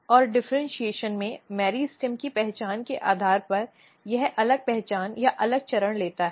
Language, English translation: Hindi, And in the differentiation depending on the identity of the meristem it takes different identity or different phase